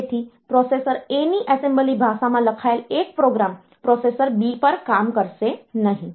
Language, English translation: Gujarati, So, one program written in assembly language of processor A will not work on processor B